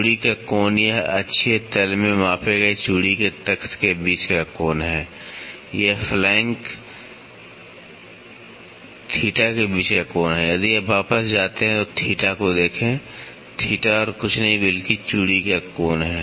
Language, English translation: Hindi, Angle of thread this is the angle between the plank of the thread measured in the axial plane, this is the angle between the flank theta, if you go back look at it theta, theta is nothing but angle of thread